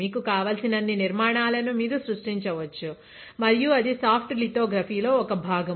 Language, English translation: Telugu, You can create as many structures as you want and that is why this is a part of your soft lithography as well